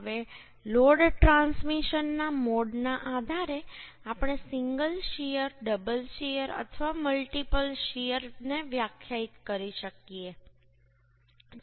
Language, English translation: Gujarati, Now, depending upon the mode of load transmission, we can define a single shear, double shear or multiple shear